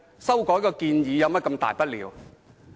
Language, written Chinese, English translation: Cantonese, 修改一項建議有甚麼大不了？, Is it a big deal to amend a proposal?